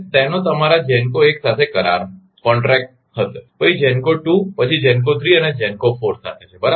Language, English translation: Gujarati, It has contact with your GENCO 1, then GENCO 2, then GENCO 3 and GENCO 4 right